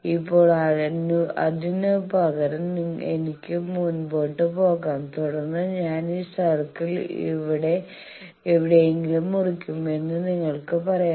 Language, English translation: Malayalam, Now, you can say that instead of that I can further go on and here also I will cut this circle somewhere here